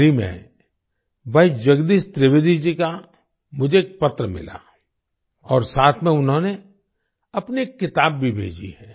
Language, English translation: Hindi, Recently I received a letter from Bhai Jagdish Trivedi ji and along with it he has also sent one of his books